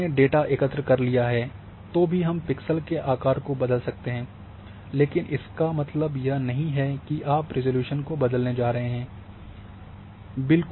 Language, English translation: Hindi, So, even the data has been collected you can change the pixel size, but that does not mean that you are going to change the resolution